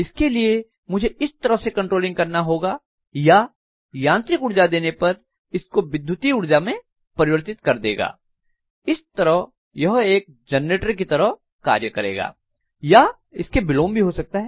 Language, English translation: Hindi, So all I need to do is I have to do the controlling such a way or if I give mechanical energy it will convert that into electrical energy and it can work as a generator or vice versa